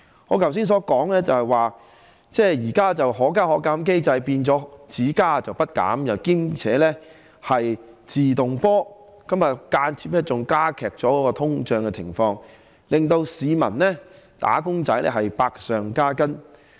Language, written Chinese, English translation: Cantonese, 我剛才提到現在的"可加可減"機制變為"只加不減"，而且是"自動波"地加價，間接加劇通脹，令市民和"打工仔"百上加斤。, As I said just now the existing mechanism that allows fares to go upwards and downwards has become one that virtually only allows fares to go upwards . Moreover increases are made automatically so inflation is exacerbated indirectly thus resulting in an ever heavier burden on the public and wage earners